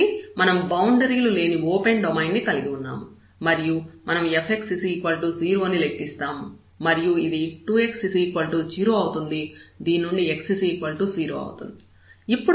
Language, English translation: Telugu, So, we have this open domain no boundaries and we will compute the f x is equal to 0 and which is just 2 x is equal to 0